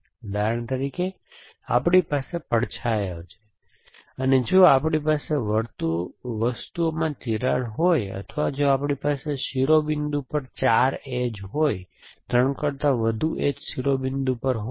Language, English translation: Gujarati, For example, we have shadows, then if we have cracks in objects or if we have more than 4, 3 edges, 3 phases meeting at vertex